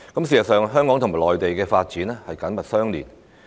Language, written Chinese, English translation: Cantonese, 事實上，香港與內地的發展緊密相連。, In fact the development of Hong Kong and the Mainland are closely interrelated